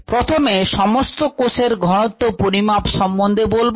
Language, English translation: Bengali, let us look at measuring the total cell concentration